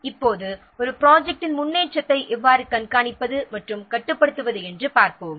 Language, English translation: Tamil, Now let's see how to monitor and control the progress of a project